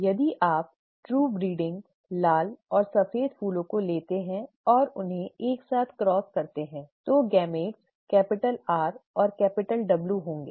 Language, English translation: Hindi, The, if you take true breeding red and white flowers and cross them together, the gametes will be capital R and capital W